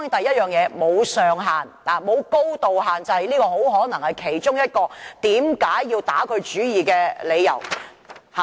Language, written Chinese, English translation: Cantonese, 當然，首先，它沒有高度限制，這很可能是其中一個被打主意的理由。, Of course first of all it does not have height restriction and this may be a reason for it to be under consideration